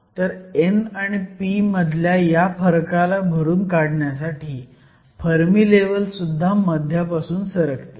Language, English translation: Marathi, So, in order to compensate for this difference in n and p, the Fermi level will also shift from the middle